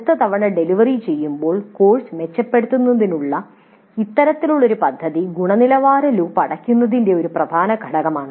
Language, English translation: Malayalam, And thus this kind of plan for improving the course the next time it is delivered is an essential aspect of the closer of the quality loop